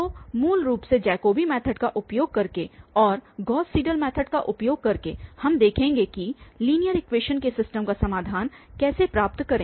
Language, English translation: Hindi, So, basically using Jacobi method and also using Gauss Seidel method we will see how to get the solution of system of linear equations